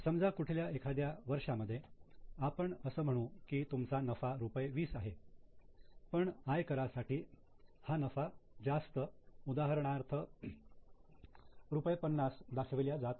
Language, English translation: Marathi, Suppose in some other year, let us say that now your profit is 20 but for income tax purpose the profit is higher, let us say 50